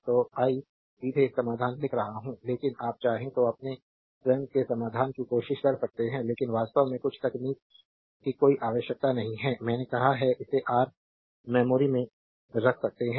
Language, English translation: Hindi, So, I am writing the solution directly, but you can try to solve of your own if you want right, but no need actually some technique is there I told you, you can you can keep it in your memory right